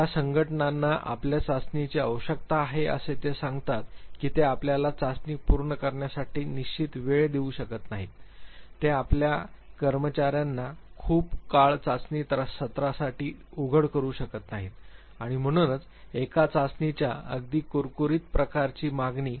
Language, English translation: Marathi, The organizations which need your test that they tell you that they cannot give you in definite time to complete test, they cannot expose their employees to a testing session for a very long and therefore, the demand for a very crisp type of a test